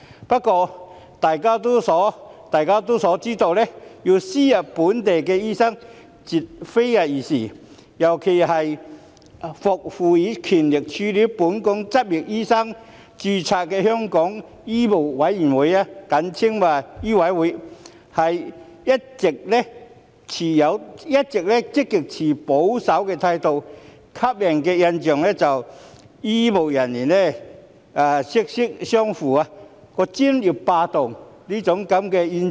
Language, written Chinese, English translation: Cantonese, 不過，眾所周知，要輸入非本地培訓醫生，絕非易事，尤其是獲賦予權力處理本港執業醫生註冊的香港醫務委員會，一直持極保守的態度，予人"醫醫相衞"、"專業霸道"的明顯印象。, However it is common knowledge that it is not easy to import non - locally trained doctors . It is particularly so as the Medical Council of Hong Kong MCHK which is empowered to handle the registration of medical practitioners in Hong Kong has adopted an extremely conservative attitude giving people the distinct impression of doctors defending doctors and professional hegemony